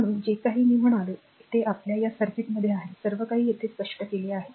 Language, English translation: Marathi, So, whatever I said that is your in the our this circuit everything, everything is explained here, everything is explained here